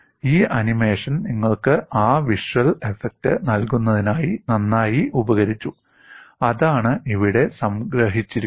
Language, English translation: Malayalam, And this animation is nicely done to give you that visual appreciation and that is what is summarized here